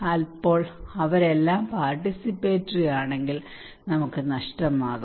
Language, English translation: Malayalam, Then if all of them are participatory, then we are lost